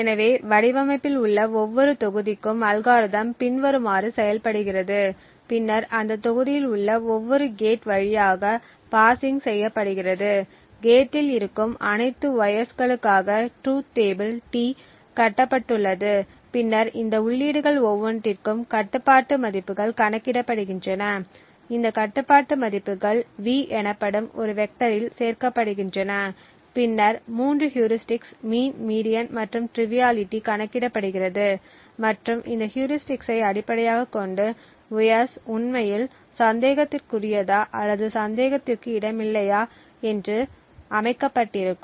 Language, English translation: Tamil, So the algorithm works as follows for each module in the design and then parsing through each gate in that module and for all the wires that are present in the gate, the truth table is built that is T and then control values are computed for each of these inputs, these control values are added to a vector called V and then the three heuristics mean, median and triviality are computed and based on these heuristics, wires are actually set to whether being suspicious or not being suspicious